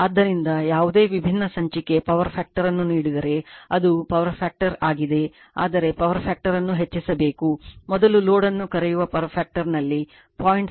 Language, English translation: Kannada, So, it is power factor you whatever combined power factor is given that different issue, but you have to raise the power factor right , at the power factor of the your what you call the first load is 0